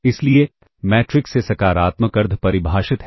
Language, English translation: Hindi, Hence, the matrix A is positive semi definite